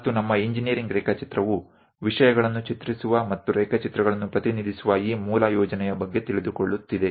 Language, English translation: Kannada, And our engineering drawing is knowing about this basic plan of drawing the things and representing drawings